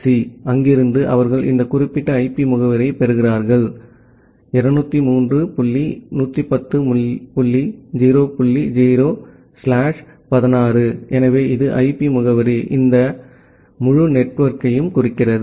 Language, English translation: Tamil, In case of India, it is a PNIC; from there, they get this particular pool of IP address say 203 dot 110 dot 0 dot 0 slash 16, so, that is the IP address, which is denoting this entire network